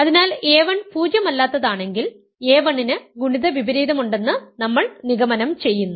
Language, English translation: Malayalam, So, as soon as a 1 is non zero, we are concluding that a 1 has a multiplicative inverse